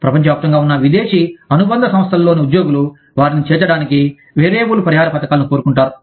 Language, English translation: Telugu, Employees in foreign subsidiaries, around the globe, want variable compensation schemes, to include them